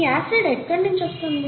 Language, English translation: Telugu, Where does the acid come from